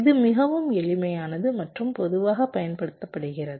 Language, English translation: Tamil, this is also quite simple and commonly used